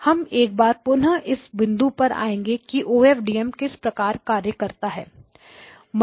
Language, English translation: Hindi, We will once again revisit this issue and understand you know how OFDM works